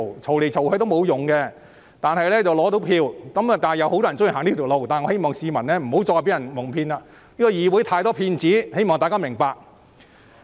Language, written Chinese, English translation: Cantonese, 這不能解決問題，但能爭取選票，有很多人喜歡這樣做，我希望市民不要繼續被蒙騙，議會有太多騙子，我希望大家明白。, Many people are thus making a beeline for it . I do not want to see the public being cheated by the many liars in the Council anymore . I hope people can understand that